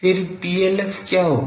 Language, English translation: Hindi, Then what will be PLF